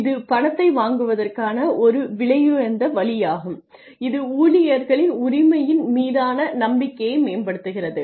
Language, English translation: Tamil, It is an expensive way of borrowing money it enhances the belief in employee ownership